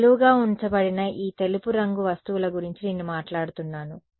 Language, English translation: Telugu, No, I am talking about these white colored things that are kept vertical